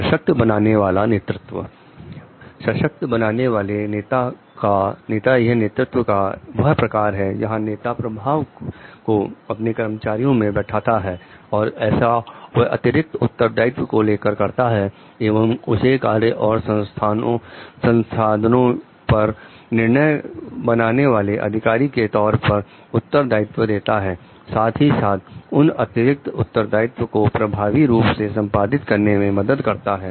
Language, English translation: Hindi, Empowering leaders; empowering leaders is the leadership style in process where leaders share power with employees by providing additional responsibility and decision making authority over work and resources, as well as support needed to handle the additional responsibilities effectively